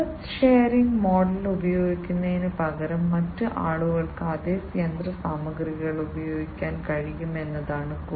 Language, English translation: Malayalam, Instead using the asset sharing model, what can be done is that other people can use the same machinery